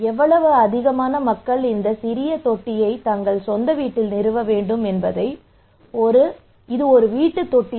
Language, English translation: Tamil, So more and more people should install these small tank at their own house, it is a household tank